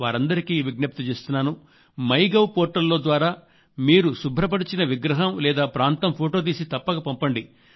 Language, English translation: Telugu, I urge all those people to send photos of the statues cleaned by them on the portal MyGov